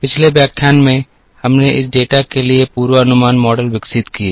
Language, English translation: Hindi, In the last lecture, we developed forecasting models for this data